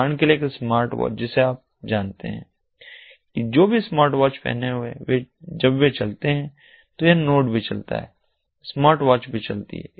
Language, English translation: Hindi, for example, a smartwatch you know whoever is wearing the smartwatch when they move, this node also moves, the smartwatch also moves